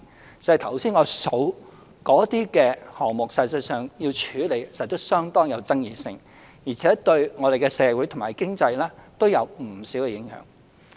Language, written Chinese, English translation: Cantonese, 光是我剛才數出的項目，實際上處理時都有相當爭議，而且對我們的社會和經濟都有不少影響。, When dealing with the tasks I just mentioned there are actually great controversies and our work will have significant impact on our society and economy